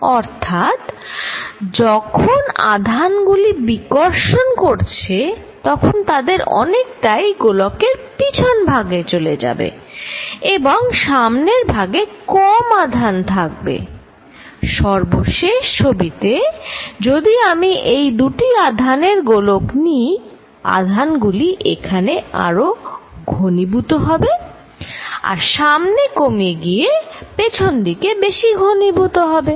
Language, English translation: Bengali, So, here charges repel, so lot of them will go to the back side of the charges sphere and there will be a less charge in front, with the final picture that if I take this two charges, charge spheres that the charges are going to be more concentrated here and less out here more concentrated on the back side and less in front